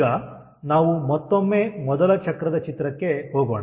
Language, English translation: Kannada, now, ah, let us go back to the first cycle diagram